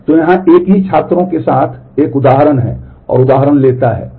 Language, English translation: Hindi, So, here is an example with the same students and takes example